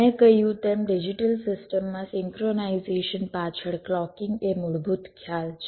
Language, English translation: Gujarati, ok, so, as i said, clocking is the basic concept behind synchronization in digital system